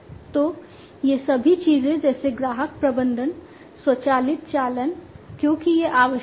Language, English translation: Hindi, So, all these things like customer management, you know, automatic invoicing, because that is required